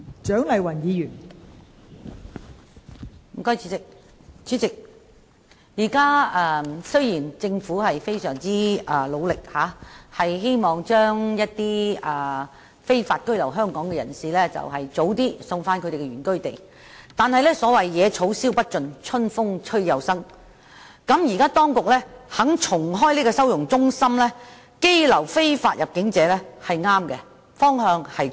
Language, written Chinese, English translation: Cantonese, 代理主席，雖然政府現時非常努力，希望盡早把在香港非法居留的人士遣返原居地，但有謂"野草燒不盡，春風吹又生"，當局現時願意重開收容中心羈留非法入境者，方向正確。, Deputy President despite the Governments efforts to repatriate illegal immigrants to their place of origin as early as possible the problem will continue to reappear . The authorities are moving in the right direction in being prepared to recommission detention centres for illegal immigrants